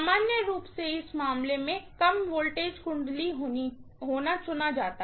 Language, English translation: Hindi, The secondary normally is chosen to be the low voltage winding in this case